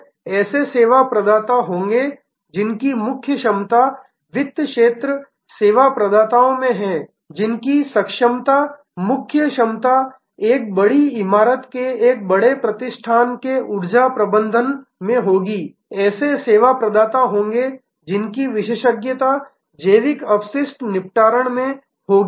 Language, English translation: Hindi, So, there will be service providers whose core competence is in the finance area service providers whose competence core competence will be in energy management of a large establishment of a large building there will be service providers whose expertise will be in organic waste disposal